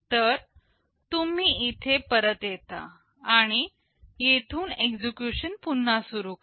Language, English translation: Marathi, So, you return back here and resume execution from here